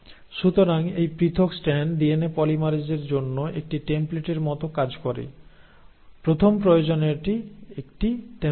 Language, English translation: Bengali, So this separated strand acts like a template for DNA polymerase, the first requirement is a template